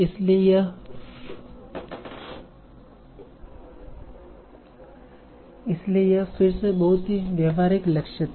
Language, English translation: Hindi, So this was again very, very practical goal